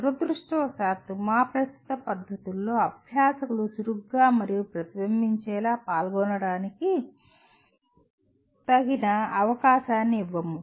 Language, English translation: Telugu, Unfortunately in our current practices we do not give adequate opportunity for learners to engage actively and reflectively